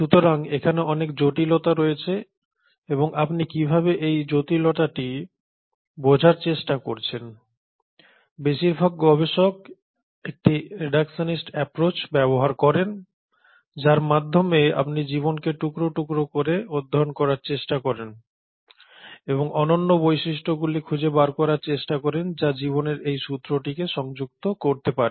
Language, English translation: Bengali, So there is a huge complexity and how do you try to understand this complexity, and most of the researchers use a very reductionist approach, wherein you try to study life in bits and pieces and try to identify the unifying features which can connect to this thread of life